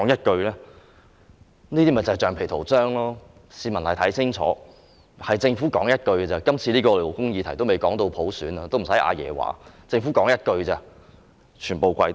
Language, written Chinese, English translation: Cantonese, 這就是橡皮圖章，市民要看清楚，今次這只是一項勞工議題，還未說到普選，不用"阿爺"出聲，政府說一句，建制派便全部跪低。, Members of the public have to see clearly . This time only a labour issue is involved and we are not talking about election by universal suffrage . There is no need for Grandpa to say anything and with one word from the Government the entire pro - establishment camp succumbs